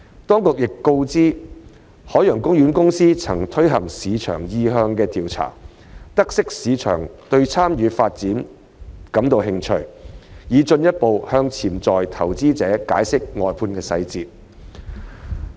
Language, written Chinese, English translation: Cantonese, 當局亦告知，海洋公園公司曾進行市場意向調查，得悉市場對參與發展感興趣，並已進一步向潛在投資者解釋外判細節。, The authorities have also advised that OPC has conducted some market sounding and there are market interests . OPC has further engaged potential investors to explain the outsourcing proposal in greater detail